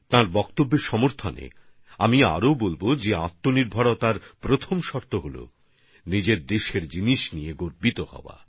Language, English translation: Bengali, Furthering what he has said, I too would say that the first condition for selfreliance is to have pride in the things of one's own country; to take pride in the things made by people of one's own country